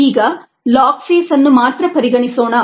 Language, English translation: Kannada, now let us consider the log phase alone